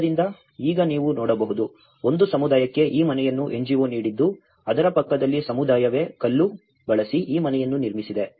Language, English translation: Kannada, So, now you can see a community has been given this house by an NGO, next to it the community themselves have built this house by using the stone